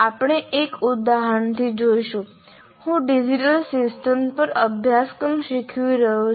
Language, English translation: Gujarati, We will see from the example if I am, let's say I am teaching a course on digital systems